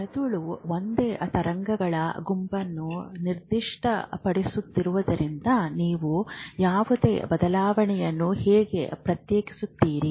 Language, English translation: Kannada, You will not differentiate any change if the brain keeps perceiving the same set of waves